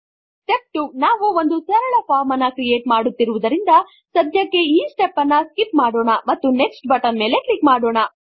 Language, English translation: Kannada, Since we are creating a simple form, let us skip this step for now and simply click on the Next button